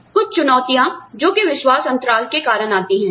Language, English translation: Hindi, Some challenges, that are posed by the trust gap